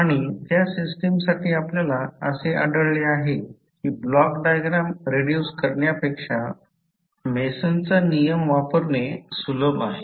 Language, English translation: Marathi, And for those kind of systems we find that the Mason’s rule is very easy to use than the block diagram reduction